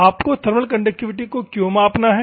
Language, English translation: Hindi, Why you have to measure the thermal conductivity